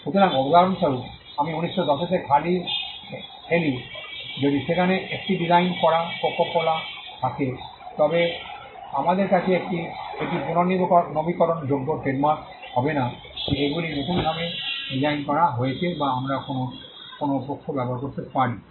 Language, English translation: Bengali, Therefore, example I play in 1910 if there are 1 designed coco cola, then we have that is not be renewable trademark that these are designed not renewed can that we used by some other party